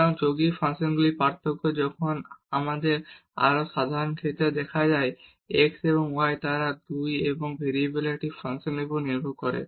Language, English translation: Bengali, So, the differentiation of the composite functions when we have this more general case that x and y they also depend on u and v a functions of 2 variables